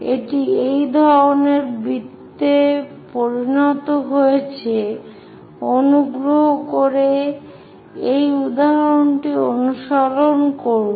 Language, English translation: Bengali, It turns out to be this kind of circle, please practice this example, ok